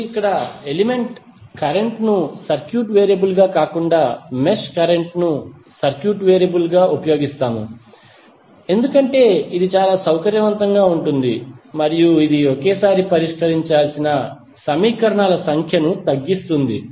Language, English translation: Telugu, Now, here instead of element current as circuit variable, we use mesh current as a circuit variable because it is very convenient and it reduces the number of equations that must be solved simultaneously